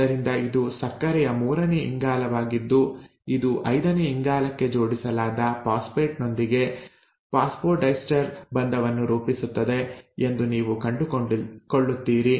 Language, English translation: Kannada, So you always find at, this is the third carbon of the sugar which is forming the phosphodiester bond with the phosphate which is attached to the fifth carbon